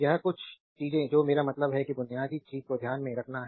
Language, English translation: Hindi, This certain things I mean basic thing you have to keep it in mind right